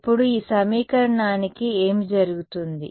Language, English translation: Telugu, Now so, what happens to this equation